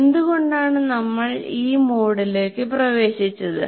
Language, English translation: Malayalam, And why did we get into this mode